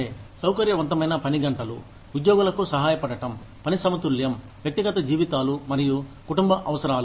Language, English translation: Telugu, Flexible working hours, to help employees, balance work in, personal lives and family needs